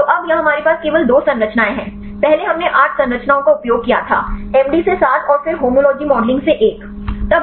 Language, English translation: Hindi, So, now, here we have only 2 structures; earlier we used 8 structures; 7 from MD and then 1 from the homology modeling